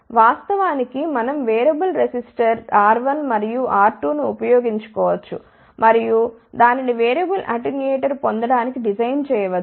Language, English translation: Telugu, Of course, we can use variable resistor R 1 and R 2 and that can be then designed to obtain variable attenuator